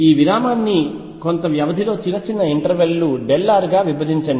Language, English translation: Telugu, Divide this interval into small intervals of some delta r right